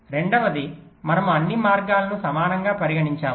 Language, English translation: Telugu, secondly, we are considering all paths to be equal